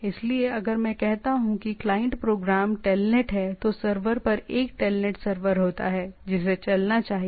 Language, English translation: Hindi, So, if I say that the client program is telnet, the at the server there is a telnet server should be running